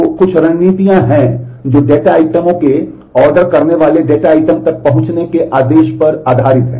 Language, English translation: Hindi, So, there are some strategies which are based on the order of accesses the data items ordering of data items and so on